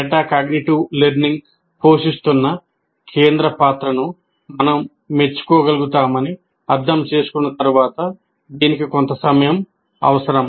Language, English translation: Telugu, But once we understand that, we will be able to appreciate the central role that metacognitive learning plays